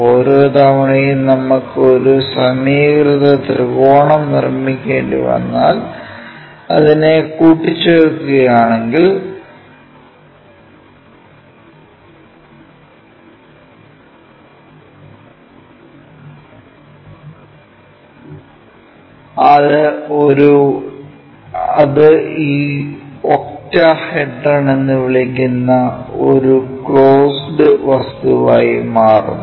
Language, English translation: Malayalam, So, equilateral triangle every time we have to construct, assemble it in such a way that, it makes a closed object such kind of thing what we call as this octahedron